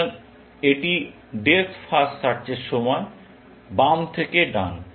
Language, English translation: Bengali, So, it is during depth first search; left to right